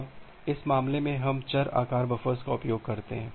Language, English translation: Hindi, Now, in this case we use the variable size buffers